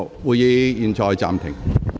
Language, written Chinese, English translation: Cantonese, 會議現在暫停。, The meeting is now suspended